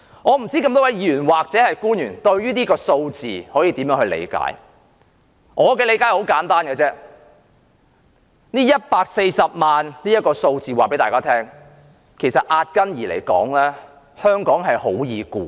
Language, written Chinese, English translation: Cantonese, 我不知道各位議員或官員如何理解這個數字，我的理解很簡單 ，140 萬這個數字告訴大家，壓根兒香港很容易管治。, I do not know how Members and public officers will interpret this figure . My understanding is very simple . The figure of 1.4 million tells us that Hong Kong is fundamentally very easy to govern